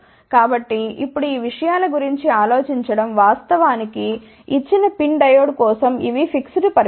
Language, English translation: Telugu, So, now, think about these things are actually fixed quantity for a given PIN diode